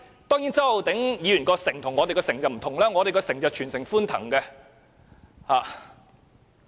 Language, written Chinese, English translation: Cantonese, 當然，周浩鼎議員的"城"與我們的"城"不同，我們的"城"是全城歡騰的。, Of course the community of Mr Holden CHOW is different from our community and our community has been hailing with joy